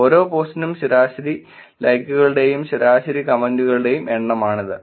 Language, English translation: Malayalam, This is per post average number of likes and average number of comments